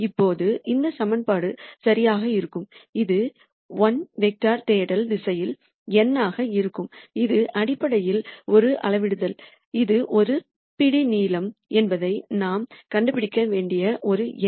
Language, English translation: Tamil, Now, for this equation to be correct this is also going to be n by 1 vector the search direction and this is essentially a scalar this is just a number that we need to nd out which is a step length